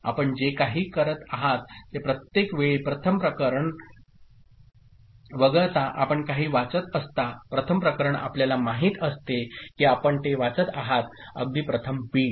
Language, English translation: Marathi, What you are doing actually is every time you are reading something except for the first case, first case you know you are reading it just like first bit